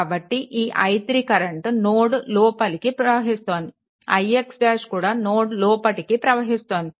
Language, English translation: Telugu, So, this i 3 also entering into the node, and i x node also entering into the node